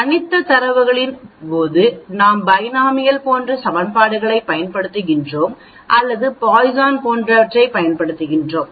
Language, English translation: Tamil, Discrete data we use equations like Binomial or we use Poisson and so on